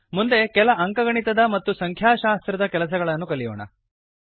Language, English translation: Kannada, Next, lets learn a few arithmetic and statistic functions